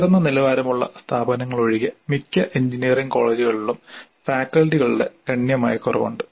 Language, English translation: Malayalam, There is considerable attrition of faculty in most of the engineering colleges except a small number of higher level institutes